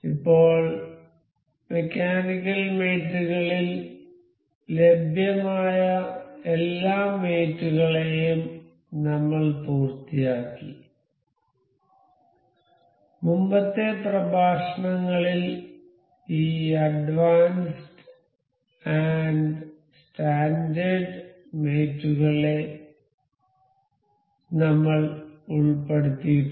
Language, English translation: Malayalam, So, now we have finished all the mates available in mechanical mates, we have also covered this advanced and standard mates in previous lectures